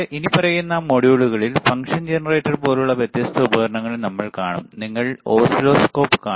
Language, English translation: Malayalam, And then in following modules we will also see different equipment such as function generator, you will see oscilloscope, right